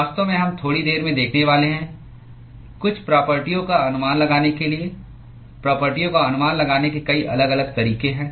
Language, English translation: Hindi, In fact, we are going to see in a short while in order to estimate some of the properties, there are many different ways to estimate properties